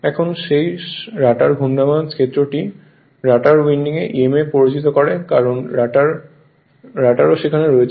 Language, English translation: Bengali, Now, also that rotor your rotating field induces emf in the rotor winding because rotor is also there